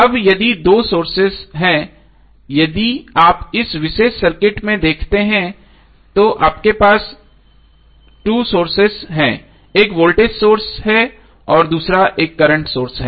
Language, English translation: Hindi, Now if there are 2 sources voltage sources if you see in this particular circuit you have 2 sources one is voltage source other is current source